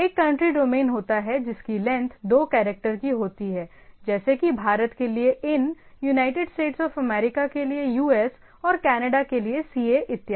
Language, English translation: Hindi, There are rather for every country there is a country domain which are a two character length like ‘in’ for India, ‘us’ for US United States of America and ‘ca’ for Canada and so and so forth